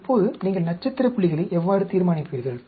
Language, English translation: Tamil, Now, how do you decide on the star points